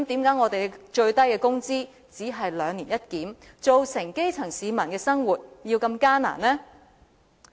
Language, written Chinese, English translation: Cantonese, 那為何最低工資只能兩年一檢，致令基層市民生活如此艱難呢？, If so why would the minimum wage be reviewed only once in every two years causing the grass roots to live a hard life?